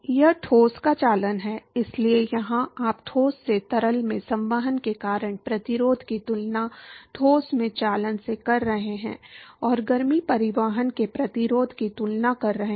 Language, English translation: Hindi, It is the conduction of the solid, so here, there you are comparing the resistance to conduction in the solid versus the resistance to heat transport because of convection from the solid to the fluid